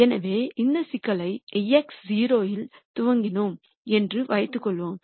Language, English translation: Tamil, So, let us assume that we initialized this problem at x naught